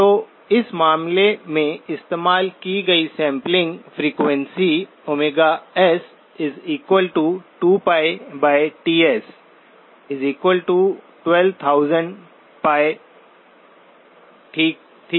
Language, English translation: Hindi, So the sampling frequency that in this case was used was sigma s=2pi by Ts equals 12,000pi, okay